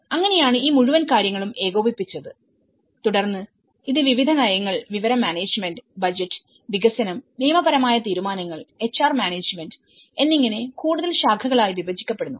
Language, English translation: Malayalam, So, this is how this whole thing was coordinated and then it is further branched out in various policy, information management, budget, development, legal decisions, HR management